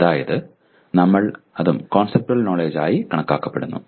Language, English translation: Malayalam, That is what we/ that also is considered conceptual knowledge